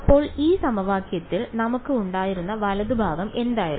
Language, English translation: Malayalam, So, what was the right hand side that we had in this equation